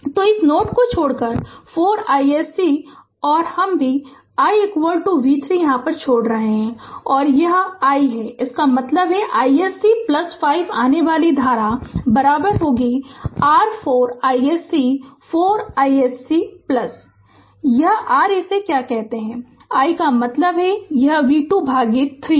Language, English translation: Hindi, So, 4 ah leaving this node 4 I s c and this I also leaving i is equal to v 3; this is is i ; that means, I s c plus 5 the incoming current is equal to your 4 I s c 4 I s c plus this your what you call this i right this i means this v 2 by 3 right